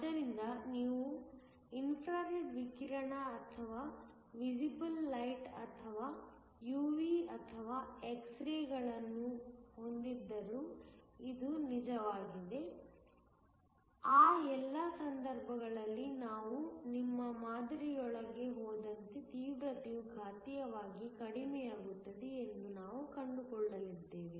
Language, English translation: Kannada, So, this is true whether you have incident infra red radiation or visible light or UV or X rays, in all of those cases we are going to find that the intensity goes down exponentially as we go within your sample